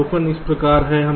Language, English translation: Hindi, the observation is as follows